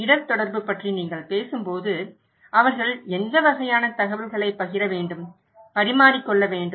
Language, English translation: Tamil, When you are talking about risk communication, what kind of information they should share, exchange